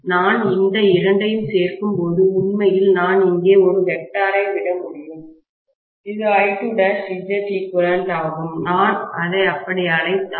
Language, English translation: Tamil, When I add these two, actually I can drop a vector here which is I2 dash times Z equivalent, if I may call it as that